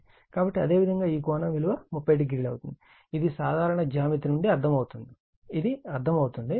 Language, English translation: Telugu, So, this is your 30 degree this is understandable from simple geometry, this is understandable